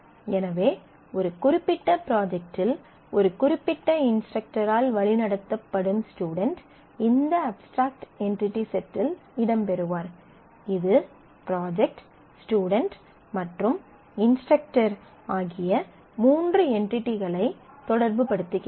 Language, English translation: Tamil, So, what will happen is a student is guided by a particular instructor in a particular project will feature in this abstract entity set; which relates the three entity sets project student and instructor